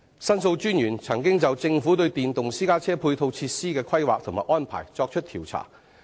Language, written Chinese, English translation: Cantonese, 申訴專員公署曾經就政府對電動私家車配套設施的規劃及安排進行調查。, The Office of The Ombudsman has looked into the Governments planning and provision of ancillary facilities for electric private cars